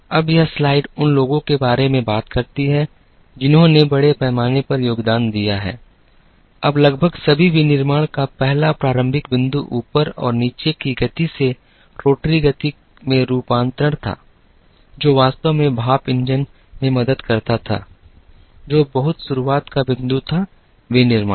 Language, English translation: Hindi, Now, this slide talks about people who have contributed extensively, now the first starting point of almost all of manufacturing was the conversion from up and down motion to rotary motion, which actually helped in the steam engine, which was a starting point of a lot of manufacturing